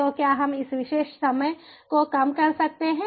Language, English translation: Hindi, so can we reduce this particular time